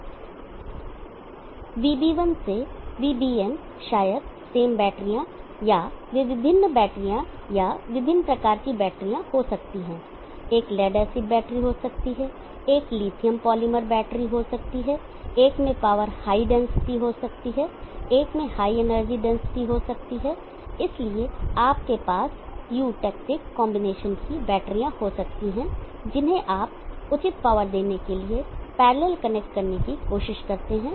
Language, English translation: Hindi, Vb1 to Vbn maybe same batteries or they may be the different batteries or different types of batteries one could be lead acid battery, lithium polymer battery, one could have power high density one could high energy density, so you can have a combinations of batteries trying to get connected to parallel delivering appropriate power